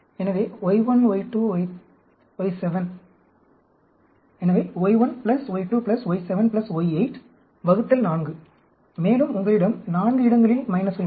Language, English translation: Tamil, So, y1 plus y2 plus y7 plus y8 divided by 4; and you have 4 places you have minus